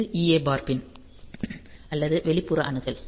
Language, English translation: Tamil, So, this is also EA bar; so, external access enable